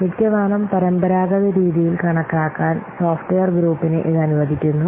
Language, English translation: Malayalam, It permits the software group to estimate in an almost traditional fashion